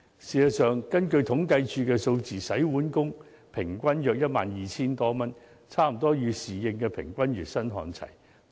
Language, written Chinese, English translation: Cantonese, 事實上，根據統計處的數字，洗碗工平均月薪約 12,000 多元，與侍應的平均月薪差不多看齊。, Actually according to the statistics of CSD the average monthly wage of a dish - washing worker is some 12,000 almost the same as that of a waiter